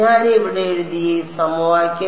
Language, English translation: Malayalam, This equation that I have written over here